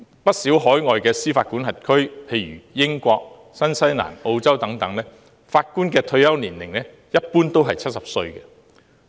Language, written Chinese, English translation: Cantonese, 不少海外司法管轄區，例如英國、新西蘭、澳洲等法官的退休年齡，一般都是70歲。, In many overseas jurisdictions such as the United Kingdom New Zealand and Australia the retirement age of their judges is generally 70